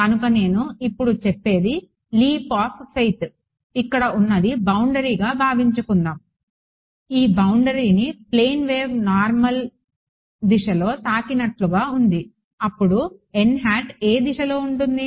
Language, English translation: Telugu, So, what I say now this is the so called a leap of faith if I assume that my boundary over here is this such that the plane wave is hitting this at a normal incidence then which direction is n hat